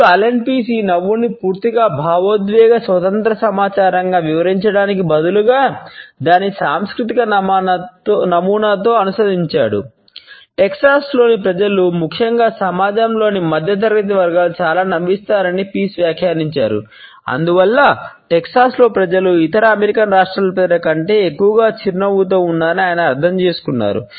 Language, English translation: Telugu, Pease has commented that people in Texas particularly either middle class sections of the society pass on too much a smiles and therefore, his understanding is that in Texas people smile more than people of other American states